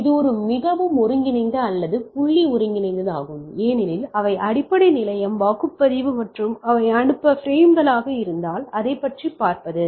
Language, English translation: Tamil, So, it is a more coordinated or point coordinated because they are the base station is polling and seeing that if they are frames to send